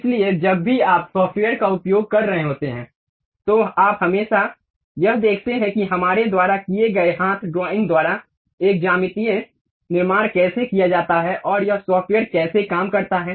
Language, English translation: Hindi, So, whenever you are using a software, you always go back check how a geometrical construction by hand drawing we have done, and how this software really works